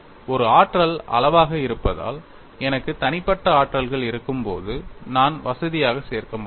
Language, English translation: Tamil, Being an energy quantity, when I have individual energies, I could comfortably add